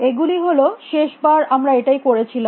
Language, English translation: Bengali, These are, this is what we did last time